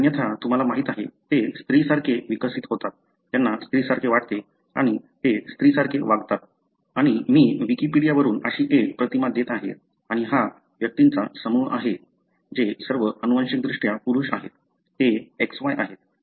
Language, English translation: Marathi, Otherwise they are, you know,, they develop like female, they feel like female and they behave like female and I am just giving one such image from Wikipedia and this is a group of individuals, all of them are genetically males, they are XY